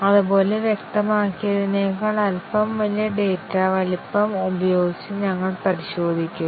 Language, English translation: Malayalam, Similarly, we check with the slightly larger data size than what is specified